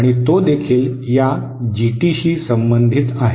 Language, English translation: Marathi, And that is also related to this GT